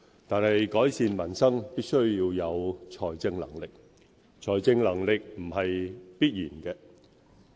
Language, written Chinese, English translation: Cantonese, 但是，改善民生必須要有財政能力，而財政能力不是必然的。, However financial capability which is a prerequisite for improving peoples livelihood should not be taken for granted